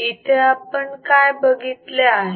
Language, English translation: Marathi, Here what we have seen until here